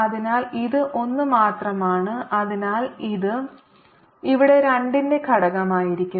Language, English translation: Malayalam, so this is only one and therefore this would be a factor of two here